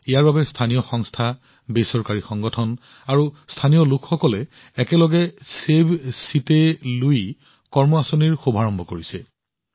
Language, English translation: Assamese, For this, local agencies, voluntary organizations and local people, together, are also running the Save Chitte Lui action plan